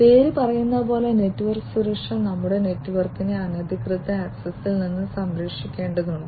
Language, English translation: Malayalam, Network security as the name says we have to protect our network from unauthorized access